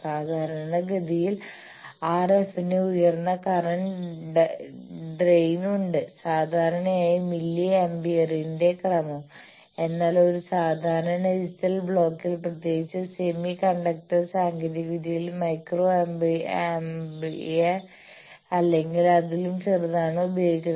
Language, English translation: Malayalam, Then also typically the RF has higher current drain, typically of the order of milli ampere whereas, in a typical digital block particularly with semi conductor technology you have of the order of micro ampere or even smaller